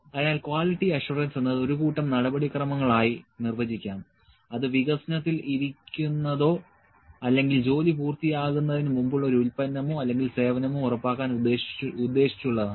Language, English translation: Malayalam, So, the quality assurance is defined may be defined as a procedure or set of procedure which are intended to ensure that a product or service that is under development that is before the work is complete